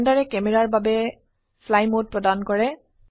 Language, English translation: Assamese, Blender also provides a fly mode for the camera